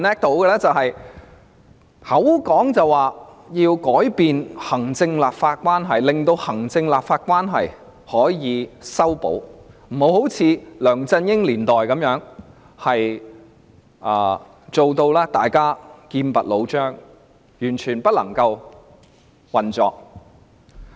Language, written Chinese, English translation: Cantonese, 她嘴巴上說要改善行政立法關係，令行政立法關係可以修補，不要如梁振英年代般，大家劍拔弩張，以致完全不能運作。, She talks about improving and mending the relationship between the executive and the legislature so as to avoid confrontations which used to prevail at the time of LEUNG Chun - ying and paralyse the operation